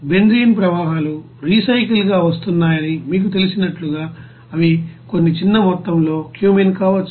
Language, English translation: Telugu, Like you know whatever benzene streams is coming as a recycle they are some small amount of cumene maybe will be mixed with that